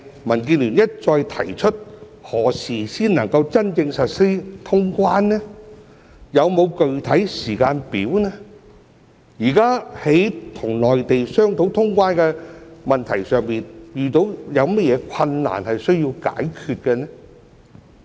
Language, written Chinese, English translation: Cantonese, 民建聯一再提出何時才能真正實施通關、有否具體時間表？現時在與內地商討通關的問題上，遇到有甚麼困難需要解決呢？, DAB has repeatedly asked when quarantine - free travel with the Mainland can really be resumed whether there is a specific timetable for it and in the current discussion with the Mainland on the issue of the resumption of quarantine - free travel what difficulties have been encountered which need to be resolved